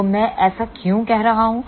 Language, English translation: Hindi, So, why I am saying that